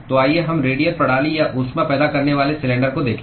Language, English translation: Hindi, So let us look at radial systems or cylinder with heat generation